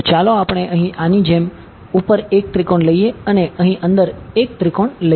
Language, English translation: Gujarati, So, let us take 1 triangle over here inside like this and 1 triangle over here inside ok